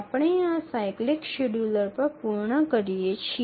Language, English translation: Gujarati, So now we conclude on this cyclic scheduler